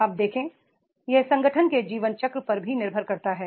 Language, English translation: Hindi, You see it also depends on the life cycle of the organization